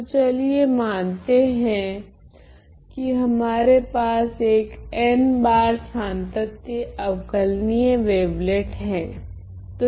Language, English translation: Hindi, So, let us say n times continuously differentiable wavelet